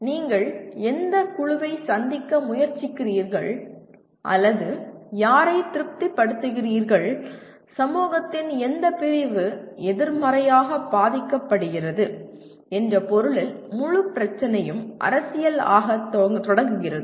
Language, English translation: Tamil, Then the whole problem becomes kind of starts becoming political in the sense interest of which group are you trying to meet or whom are you satisfying and which segment of the society is going to be negatively affected and once again they have significant consequences in a range of context